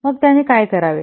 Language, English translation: Marathi, Then what he should do